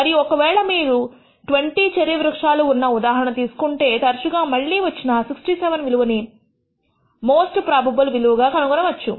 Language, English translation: Telugu, And if you take the example of this 20 cherry trees data, we find that the most probable value, the value that repeats more often, is 67